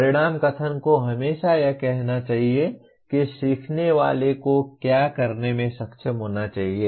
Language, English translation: Hindi, The outcome statement should always say what the learner should be able to do